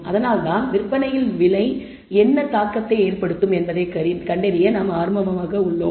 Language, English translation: Tamil, So, that is why we are interested in finding what effect does price have on the sales